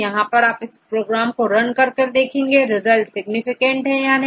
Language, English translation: Hindi, So, to run any of these programs and if you have to check whether your results are significant or not